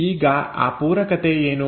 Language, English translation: Kannada, Now what is that complementarity